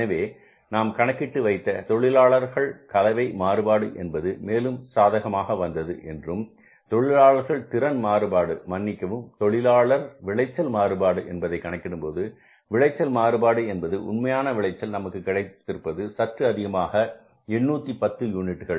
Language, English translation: Tamil, So, we worked out this labor mix variance which further came up as favorable and then we calculated the labor efficiency variance, sorry, labor yield variance and when you calculated the yield variance means the actual yield was higher, very high, 810 units